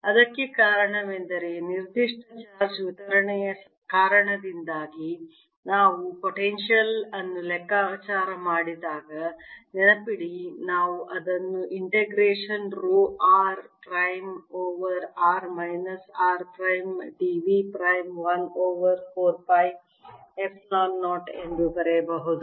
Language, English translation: Kannada, the reason for that is that, remember, when we calculate the potential due to a given charge distribution, we can write this as integration rho, r prime over r minus r, prime, d v prime, one over four, pi, epsilon zero